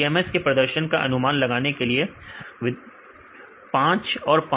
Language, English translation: Hindi, So, how about the prediction performance of TMS